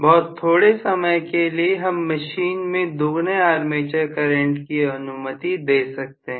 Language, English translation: Hindi, For a short while I may allow my machine to carry twice the rated armature current